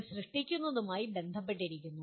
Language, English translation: Malayalam, This is related to creating